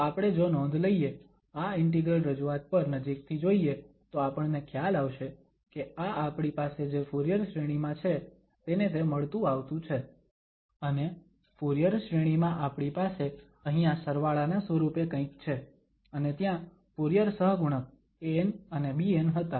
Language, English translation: Gujarati, So, if we note, if we take a closer look at this integral representation, then we will realise that this is similar to what we have for the Fourier series and in the Fourier series, we have something here in the form of the summation and there were Fourier coefficients an and bn